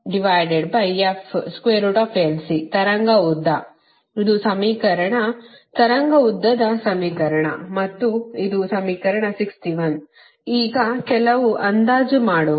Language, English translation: Kannada, this is the equation of the wave length and this is equation sixty